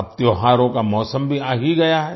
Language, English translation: Hindi, The season of festivals has also arrived